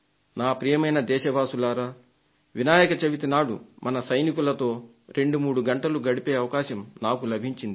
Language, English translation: Telugu, My dear countrymen, on the day of Ganesh Chaturthi, I had the privilege of spending 23 hours with the jawans of the armed forces